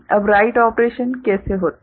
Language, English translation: Hindi, Now, how the write operation takes place